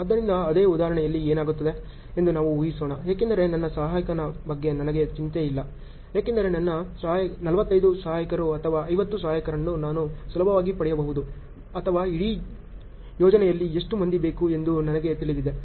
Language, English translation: Kannada, So, in the same example what happens let us assume because I am not worried about my helper I know I can easily get my 45 helpers or 50 helpers or how many ever I want in the whole project